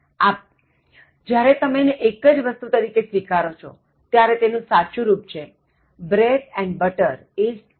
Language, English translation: Gujarati, So, when you treat that as a singular entity, the correct form is bread and butter is tasty